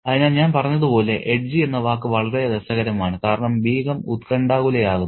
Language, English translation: Malayalam, So, as I said, the word edgy is very interesting because the Begham becomes anxious